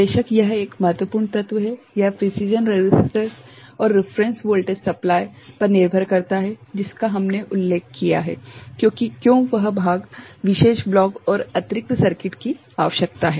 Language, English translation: Hindi, Of course, this is one important element, it depends on the precision registers and the reference voltage supply, which we mentioned that why that part particular block and additional circuitry required ok